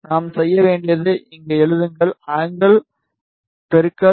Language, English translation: Tamil, All we need to do is just write here, angle into pi by 180